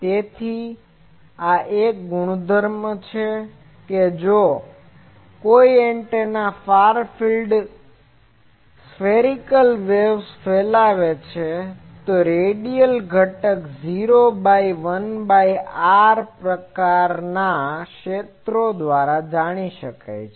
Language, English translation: Gujarati, So, this is a property that if any antenna radiates a spherical wave in the far field, the radial component goes to 0 for 1 by r type of fields